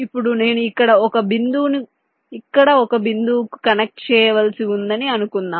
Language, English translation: Telugu, now suppose i need to connect a point here to a point here